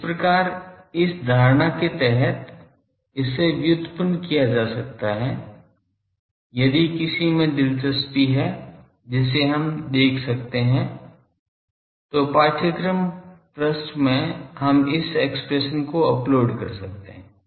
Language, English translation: Hindi, So, under that assumption it can be derived, if anyone interested we see in the may be in the course page we can upload this the derivation